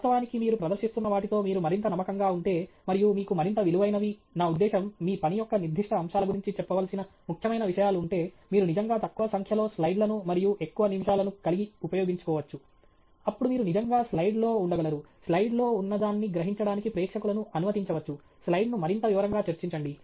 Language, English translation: Telugu, But actually, if you get more and more confident with what you are presenting, and you have a more valuable, I mean, important things to say about the specific aspects of your work, you can actually have less number slides and more number of minutes; then you can actually stay on a slide, allow the audience to absorb what is on the slide, discuss the slide in greater detail